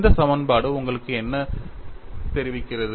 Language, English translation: Tamil, Is that information contained in this equation